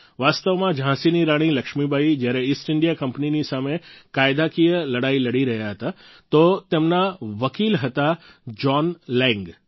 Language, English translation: Gujarati, Actually, when the Queen of Jhansi Laxmibai was fighting a legal battle against the East India Company, her lawyer was John Lang